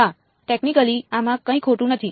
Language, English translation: Gujarati, Yes, technically there is nothing wrong with this